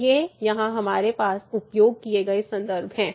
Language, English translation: Hindi, So, these are the references we used here